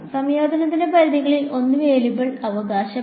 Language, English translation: Malayalam, One of the limits of integration is a variable right